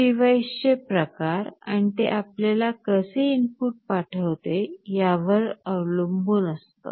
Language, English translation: Marathi, It depends on the type of devices and the way they are sending you the inputs